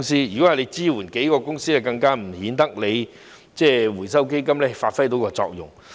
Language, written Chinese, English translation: Cantonese, 如果是支援數間公司，更顯得回收基金無法發揮作用。, If it is for supporting several companies it is even more obvious that the Fund has failed to serve its purpose